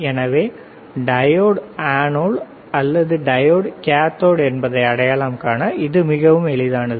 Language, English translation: Tamil, So, this is very easy to identify the diode is anode or diode is cathode